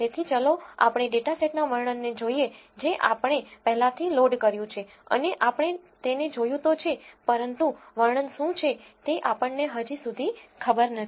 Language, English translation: Gujarati, So, now, let us look at the description of the data set we have already loaded it and we viewed it, but we do not know yet what the description is